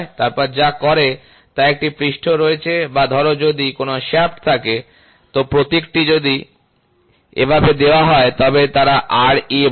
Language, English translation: Bengali, So, what they do is there is a surface or suppose if there is a shaft, so if the symbol is given like this, so they say Ra